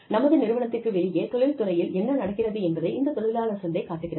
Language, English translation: Tamil, So, we have labor market is, you know, what is happening in the industry, outside of our organization